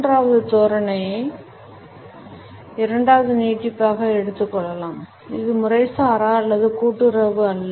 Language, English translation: Tamil, The third posture can be taken up as an extension of the second one; it is neither informal nor cooperative